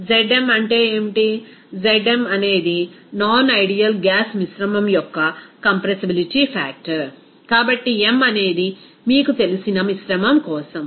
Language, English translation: Telugu, What is Zm, Zm is the compressibility factor of the non ideal gas mixture, so m is for you know mixture